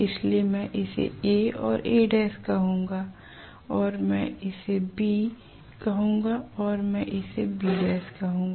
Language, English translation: Hindi, So let me call this as A and A dash and I am going to call this as B and I am going to call this as B dash